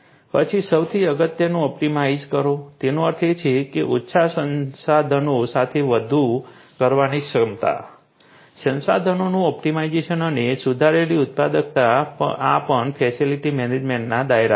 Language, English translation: Gujarati, Then most importantly optimize; that means, ability to do more with less resources, optimization of resources and improved productivity this is also within the purview of facility management